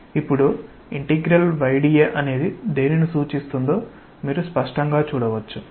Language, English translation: Telugu, Now, you can clearly see that what does the integral y dA represent